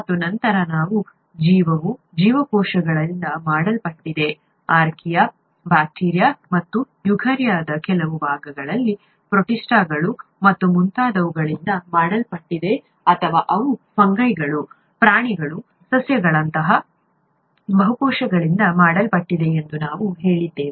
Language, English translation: Kannada, And then we said that life is made up of cells, either single cell, such as in archaea, bacteria, and some part of eukarya called protists and so on, or they could be made up of multiple cells such as fungi, animals, plants and so on